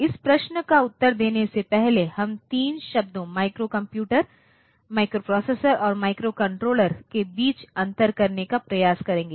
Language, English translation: Hindi, So, we will try to differentiate between three terms microcomputer, microprocessor and microcontroller